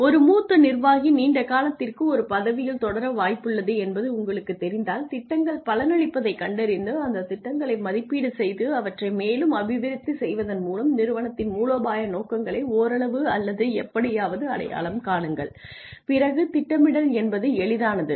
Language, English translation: Tamil, If you know that a senior executive is likely to continue in a position for a longer period of time and see the plans come to fruition and evaluate those plans and develop them further in order to somewhat or somehow achieve the strategic objectives of the organization, then it is easier to plan